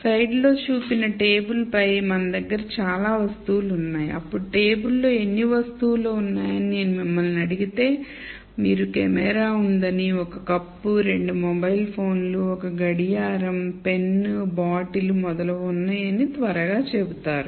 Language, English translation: Telugu, So, we have many objects on the table that is shown in the slide, then if I asked you how many articles are there in the table you would quickly say well there is a camera, there is a cup, there are two mobile phones, there is a watch, there is a pen, bottle and so on